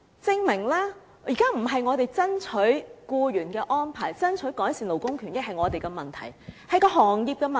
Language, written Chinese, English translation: Cantonese, 證明了我們現在爭取僱員的安排、爭取改善勞工權益不是我們的問題，而是行業的問題。, What does this show? . It shows that our present campaign related to the arrangements for employees and for improvements to labour rights and interests is not a problem of our making but that of the industrys own making